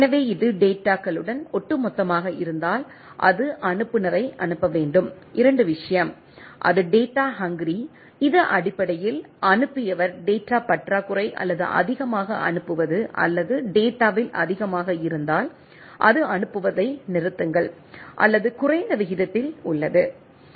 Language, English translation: Tamil, So, if it is overall with the data, it should must sender the sender that 2 thing, it is hungry of the data, it is basically dearth of the data as the sender to send more or if it is overwhelm in the data, it should say that the stop sending and or at a reduced rate right